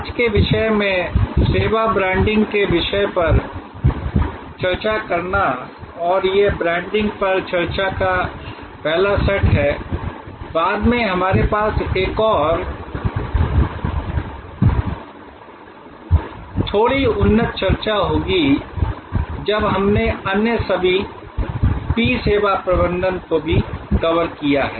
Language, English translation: Hindi, To discuss today's topic of service branding and this is the first set of discussion on branding, we will have another a little bit more advanced discussion later, when we have covered all the other P’s of service management as well